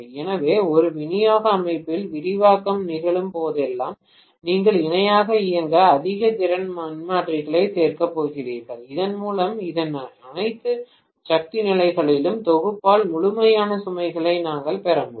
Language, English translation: Tamil, So whenever there is an expansion taking place in a distribution system, you are going to add more and more capacity transformers to operate in parallel so that we are able to get the complete load being met by the summation of all the power levels of this transformer, ratings of these transformers